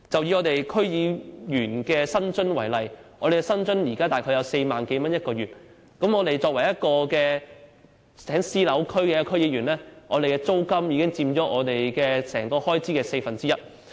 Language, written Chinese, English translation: Cantonese, 以區議員的薪津為例，我們現時的每月薪津約為4萬多元，但作為在私樓區工作的區議員，單單租金已經佔總開支四分之一。, In terms of remunerations we have 40,000 - odd a month and we have to pay for rent which alone accounts for a quarter of the total expenditure for offices in private properties